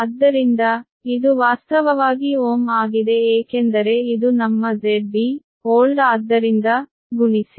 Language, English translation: Kannada, so this is actually ohm right because this is your z base old